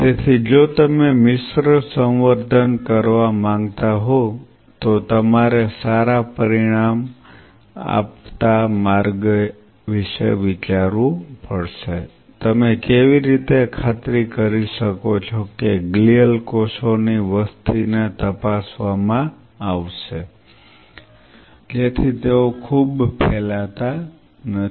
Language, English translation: Gujarati, So, you have to think of an optimized way if you want to do a mixed culture that how you can ensure that the population of glial cells are kept at check, that they do not proliferate So much